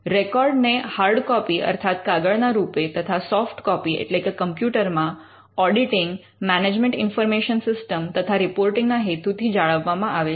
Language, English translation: Gujarati, Records are maintained as hard and soft copies for auditing, management information system and reporting purposes